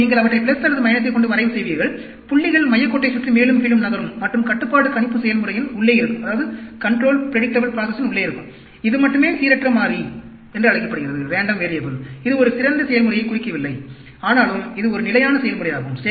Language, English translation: Tamil, So, you plot them with plus or minus 3 sigma; points move up and down around the center line and stay inside the control predictable process; only this is called the random variable; does not indicate a best process, but still, it is a stable process